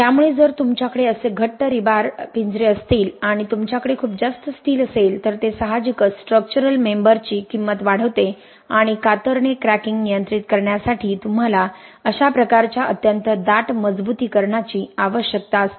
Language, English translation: Marathi, So if you have such tight rebar cages and you have so much of steel, it obviously increases the cost of the structural member and you need such kind of extremely dense reinforcement to controls shear cracking